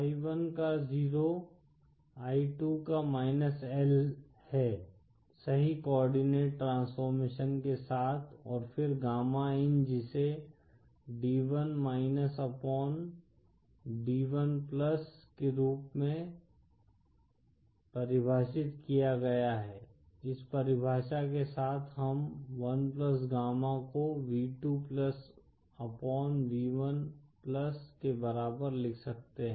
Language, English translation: Hindi, So i1 of 0 is i2 of –L with appropriate coordinate transformations & then gamma in, which is defined as d1 upon d1+, that with this definition, we can write 1+ gamma in equal to v2+ upon v1+